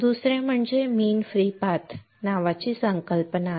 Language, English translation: Marathi, Second is there is a concept called mean free path